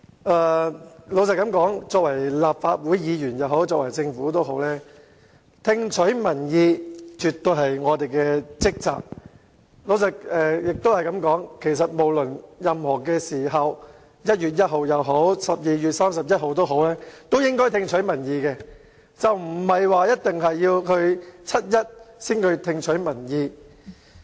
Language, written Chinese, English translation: Cantonese, 坦白說，無論是立法會議員或政府，聽取民意絕對是我們的職責，亦可以說，無論任何時候，在1月1日也好 ，12 月31日也好，我們也應該聽取民意，而不一定要在七一才聽取民意。, Frankly speaking both the Legislative Council and the Government should heed the views of the public as it is definitely our duty to do so . Therefore we should pay attention to public views on all days rather than only on 1 July